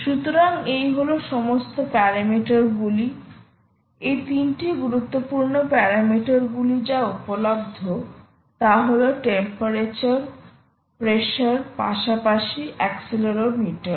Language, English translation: Bengali, ok, so all the parameters are there, these three critical parameters which are available: temperature, pressure, as well as the ah accelerometer